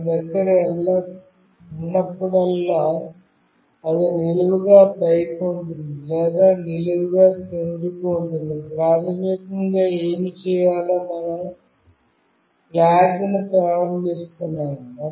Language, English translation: Telugu, Whenever we have either it is vertically up or it is vertically down, what is basically done is that we are initializing a flag